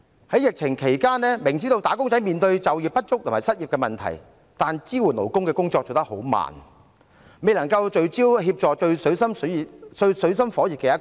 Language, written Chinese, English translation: Cantonese, 在疫情期間，明知"打工仔"面對就業不足和失業問題，但支援勞工的工作卻做得很慢，未能聚焦協助最水深火熱的一群。, During the epidemic outbreak wage earners were obviously faced with problems of underemployment and unemployment but the provision of support for workers was slow and failed to focus on helping those in desperate straits